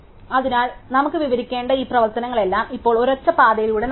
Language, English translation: Malayalam, So, all these operations that we have to describe now walk down a single path